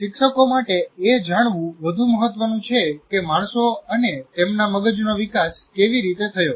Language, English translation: Gujarati, So what is more important is for teachers to know how humans and their brains develop